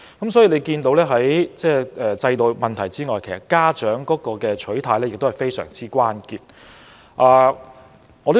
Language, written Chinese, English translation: Cantonese, 由此可見，除了制度問題外，家長的心態和行事亦是關鍵所在。, From this example we can see that apart from the education system the attitude and practices of parents are also crucial